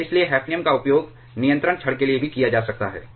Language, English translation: Hindi, And therefore, hafnium can also be used for control rod